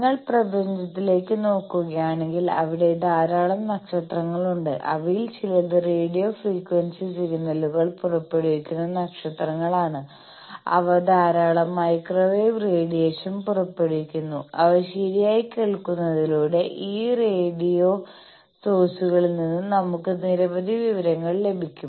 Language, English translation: Malayalam, If you look at the universe there are lot of stars, some of them are radio stars which emit radio frequency signals, lot of microwave radiation they emit and by properly listening to them we can get many information from this radio sources